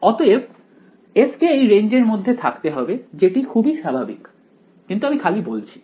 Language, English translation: Bengali, So, f must be in the range of L that is kind of obvious, but I am just stating it anyway ok